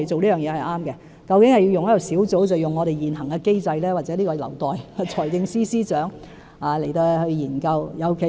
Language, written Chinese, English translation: Cantonese, 究竟應該成立小組還是使用現行機制，這個問題或許留待財政司司長研究。, Whether a task force should be set up or the existing mechanism should be used is perhaps a question that should be left to consideration by the Financial Secretary